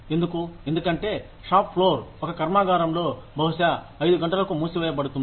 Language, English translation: Telugu, Why, because the shop floor would, in a factory, would probably close at 5 o'clock